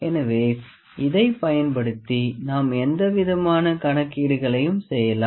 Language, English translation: Tamil, So, we can do any kind of calculations using this